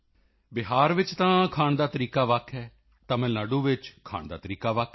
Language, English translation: Punjabi, In Bihar food habits are different from the way they are in Tamilnadu